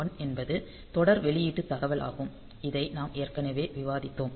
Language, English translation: Tamil, 1 is serial output data; so, this we have already discussed